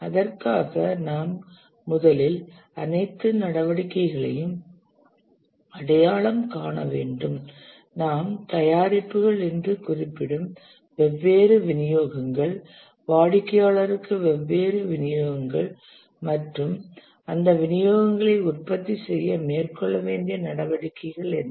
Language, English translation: Tamil, For that we need to first identify all the activities, the different deliverables which we refer to as products, the different deliverables to the customer, and what are the activities to be undertaken to produce those deliverables